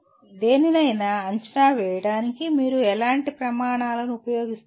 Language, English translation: Telugu, What kind of criteria do you use for evaluating something